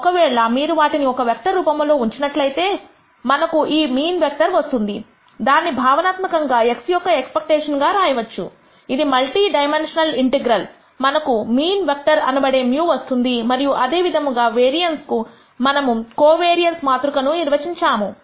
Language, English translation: Telugu, If you put them in the vector form, we get this mean vector symbolically written as expectation of x which is a multi dimensional integral, we get this value mu which is known as the mean vector